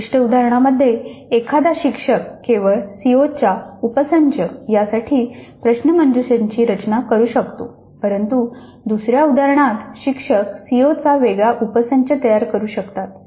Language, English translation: Marathi, In a specific instant an instructor may design quizzes to cover only a subset of the COs but in another instance the instructor will wish to cover a different subset of COs